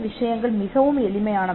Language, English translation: Tamil, Things used to be much simpler